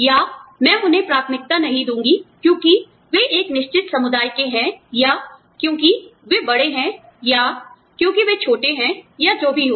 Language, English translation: Hindi, Or, i will not prefer them, because they belong to a certain community, or because, they are older, or because, they are younger, or whatever